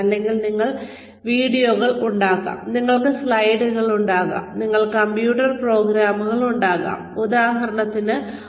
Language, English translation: Malayalam, So you can have videos, you can have slides,you can have computer programs, you can have examples